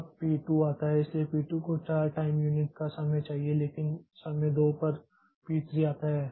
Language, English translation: Hindi, Now p 2 comes so p 2 needs time for 4 time unit but at time 2 at time 2 at time 2 p 3 comes